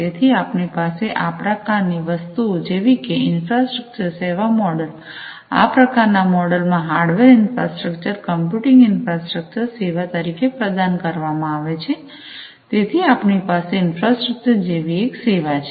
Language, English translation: Gujarati, So, we have things like infrastructure as a service model , you know so basically you know in this kind of model, some kind of hardware infrastructure etcetera, the computing infrastructure will be offered as a service, so we have infrastructure as a service